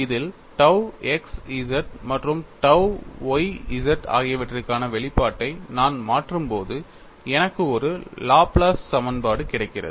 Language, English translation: Tamil, When I substitute the expression for tau xz and tau yz in this, I get a Laplace equation